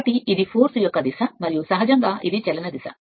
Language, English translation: Telugu, So, this is the direction of the force and naturally this is the direction of the motion right